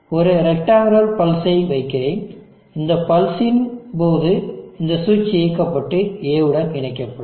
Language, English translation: Tamil, And let me place a rectangular pulse, and during this pulse this switch will be enable and connected to A